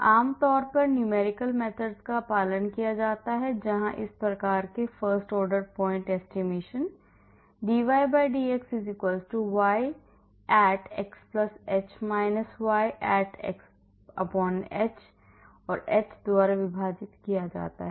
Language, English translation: Hindi, So, generally the numerical methods are followed where use of this type of first order point estimation, dy/dx = y at x+h – y at x/h, divided by h